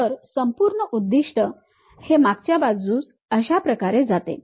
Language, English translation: Marathi, So, the whole objective at that back end it goes in this way